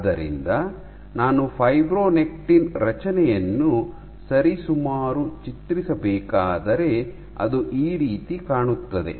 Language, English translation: Kannada, So, if I were to draw approximately the structure of fibronectin